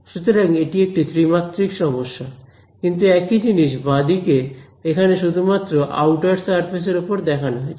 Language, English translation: Bengali, So this is a 3D problem, but the same thing on the left hand side over here is only over the outer surface